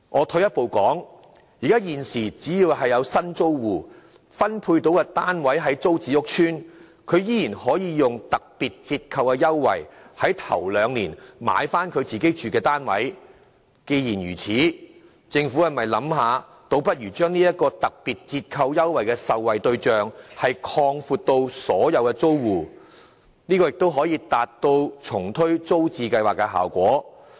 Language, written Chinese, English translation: Cantonese, 退一步說，現時只要有新租戶獲分配的單位位於租置計劃屋邨內，他們依然可以利用特別折扣的優惠，在首兩年購回自己居住的單位。既然如此，政府倒不如考慮把這項特別折扣優惠的受惠對象擴闊至所有租戶，這亦可達致重推租置計劃的效果。, On second thought in the light of the fact that those new PRH tenants being allocated units in TPS estates at present are still entitled to a special credit for purchasing their housing units in the first two years upon commencement of their tenancy agreements the Government may consider expanding the offer of special credit to benefit all households to the same effect as that of relaunching TPS